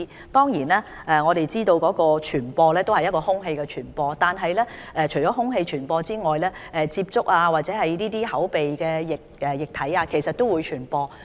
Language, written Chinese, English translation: Cantonese, 當然，我們都知道麻疹可以經空氣傳播，但除了空氣傳播外，亦可經口鼻分泌液體傳播。, Certainly we know that measles can be transmitted through the air but apart from that it can also be transmitted through oral or nasal secretions